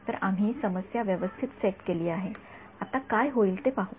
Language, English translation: Marathi, So, we have setup the problem very well now let us look at what will happen